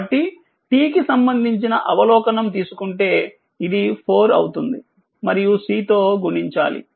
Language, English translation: Telugu, So, if you take the derivative with respect to it will we 4 and multiplied by C